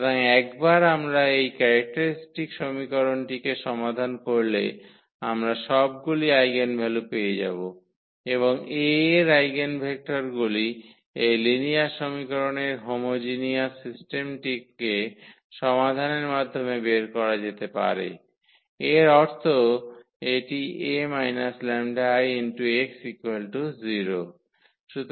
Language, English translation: Bengali, So, once we solve this characteristic equation we will get all the eigenvalues and the eigenvectors of A can be determined by this solving the homogenous system of this linear equation; that means, this A minus this lambda I x is equal to 0